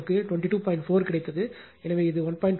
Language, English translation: Tamil, 4, so it will be 1